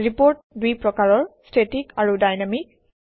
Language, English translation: Assamese, There are two categories of reports static and dynamic